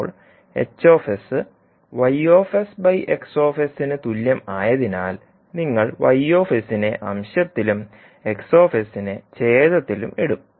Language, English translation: Malayalam, Now, since H s is equal to Y s upon X s, you will put Y s in numerator and the X s in denominator